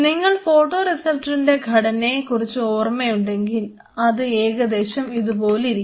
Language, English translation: Malayalam, So, if you remember the structure of the photoreceptors looks like this